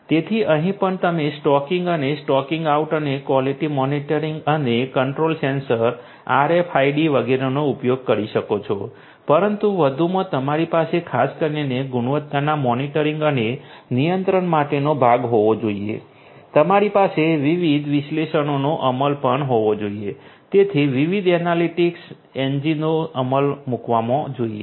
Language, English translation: Gujarati, So, stocking in and stocking out and quality monitoring and control here also you could use the sensors RFIDs etcetera, but additionally you could you should also have particularly for the monitoring and control part of quality, you should also have the implementation of different analytics, so different analytics engines should be implemented